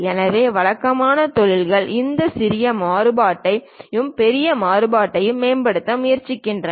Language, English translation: Tamil, So, usually industries try to optimize this small variation and large variation